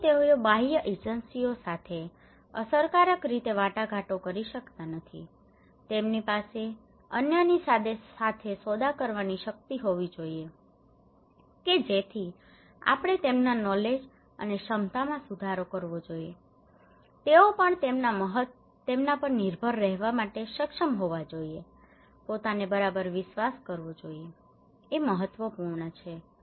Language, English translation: Gujarati, Therefore they cannot effectively negotiate with the external agencies so they should have these power to bargain with the other so that we should improve their knowledge and capacity also they should be able to depend, trust themselves okay, this is important